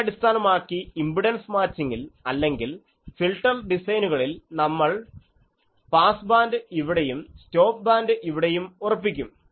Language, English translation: Malayalam, Actually, based on these we have in the impedance matching or filter designs we put pass bands here and stop bands here